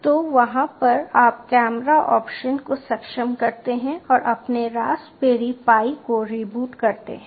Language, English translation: Hindi, so over there you enable the ah camera option and reboot your raspberry pi